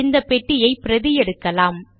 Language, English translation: Tamil, Let us copy this box